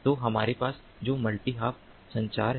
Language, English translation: Hindi, so what we have is multi hop communication